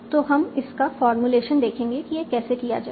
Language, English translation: Hindi, So we will see its formulation